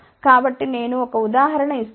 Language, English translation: Telugu, So, I have just given a 1 example ok